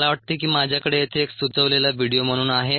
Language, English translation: Marathi, i think i have a video here ah as um a suggested video